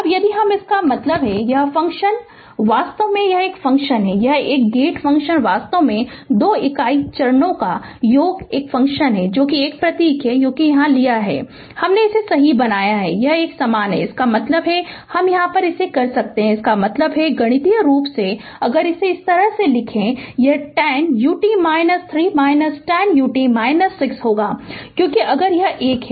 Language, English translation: Hindi, Now, if you; that means, this function actually this function, this gate function actually is equal to sum of 2 unit steps a function that is this is one plus symbol is here, I made it plus right is equal is this one; that means, this one you can; that means, mathematically if you write like this; it will be 10 u t minus 3 minus 10 u t minus 6 because if this one plus this one